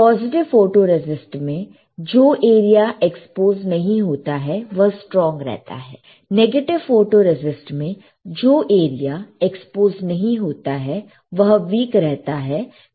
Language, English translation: Hindi, In positive photoresist area not exposed stronger, negative photoresist area not exposed will be weaker